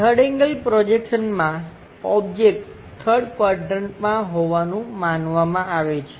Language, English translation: Gujarati, In 3rd angle projection the object supposed to be in the 3rd quadrant